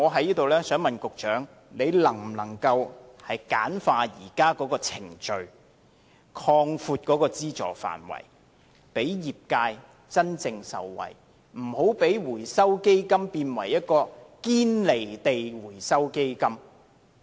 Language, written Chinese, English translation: Cantonese, 因此，我想問局長，他能否簡化現時的程序，擴闊資助範圍，讓業界真正受惠，不要讓回收基金變成"堅離地回收基金"？, Hence I would like to ask the Secretary if he can streamline the existing procedure and widen the scope of funding so that the Recycling Fund can truly benefit the industry and will not become detached from reality